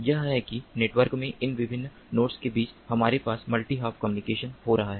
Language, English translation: Hindi, this is how we have this multi hop communication taking place between these different nodes in the network: multi hop